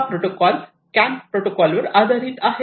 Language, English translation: Marathi, So, this you know it is based on the CAN protocol